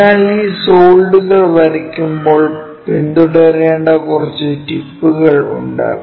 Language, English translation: Malayalam, So, when we are drawing these solids, there are few tips which we have to follow